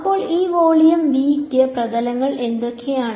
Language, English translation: Malayalam, So, on for this volume V what are the surfaces